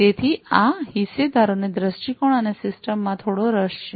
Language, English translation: Gujarati, So, these stakeholders have some interest in the viewpoints and the system